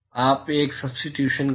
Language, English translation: Hindi, You make a substitution